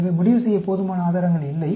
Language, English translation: Tamil, So, there is insufficient evidence to conclude